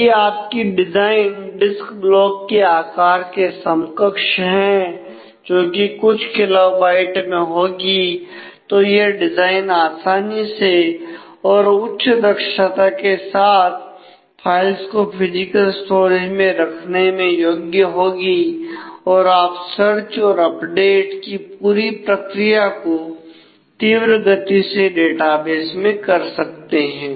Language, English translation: Hindi, So, you are if your design is aligned with a size of the disk block which is couple of kilobytes then it will be easier to be able to design more optimal physical storage for your files and you can speed up the whole process of search and update that you want to do in the database